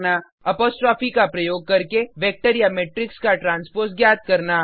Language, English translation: Hindi, Find the transpose of vector or matrix using apostrophe